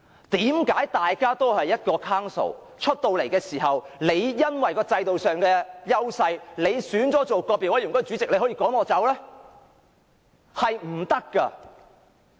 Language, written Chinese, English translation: Cantonese, 為何大家屬於同一個 Council， 但因為制度上的優勢，獲選為個別委員會主席便可以趕我走呢？, We belong to the same Council but why can those elected as Chairmen of individual committees order my withdrawal with their advantageous position under the system?